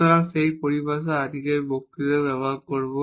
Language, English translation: Bengali, So, that terminology we will use in today’s lecture